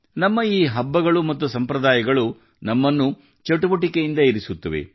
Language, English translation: Kannada, These festivals and traditions of ours make us dynamic